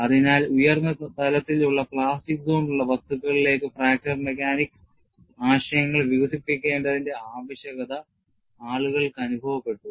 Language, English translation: Malayalam, So, people felt the need for developing fracture mechanics concepts to materials, which would have a higher level of plastic zone